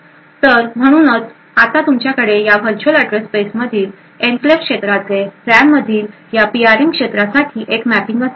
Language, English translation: Marathi, So, therefore you would now have a mapping for this enclave region within the virtual address space to this PRM region in the RAM